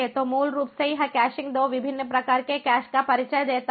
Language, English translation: Hindi, so, basically, this caching basically introduces two different types of cache